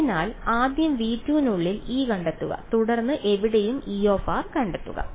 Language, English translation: Malayalam, So, first find E inside v 2 and then find E r anywhere